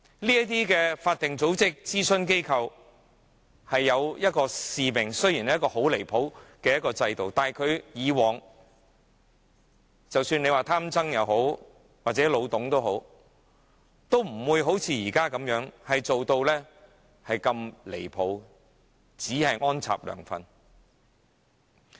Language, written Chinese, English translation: Cantonese, 這些法定組織和諮詢機構原本有其使命，雖然在如此過分的制度下，以往即使是"貪曾"或"老董"也好，都不會像現時梁振英般如此過分，只顧安插"梁粉"。, These statutory organizations and advisory bodies all have their own missions . Even though the system has always been so very absurd and Greedy TSANG or Old TUNG also worked under this same system they did not seek to plant their supporters like LEUNG Chun - ying now